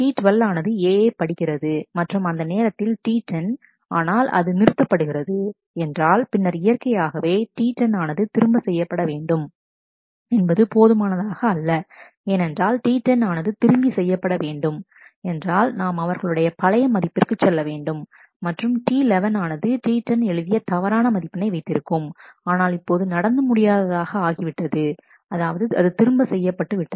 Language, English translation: Tamil, So, T 10 reads A and B and writes A and then T 11 reads and writes A and T 12 reads A and at that time if T 10 fails if that aborts, then naturally it is not enough to simply roll back T 10 because, if we roll back T 10, then we the value of a goes back to the original and T 11 would have a wrong value which T 10 had written, but has now been undone has now been rolled back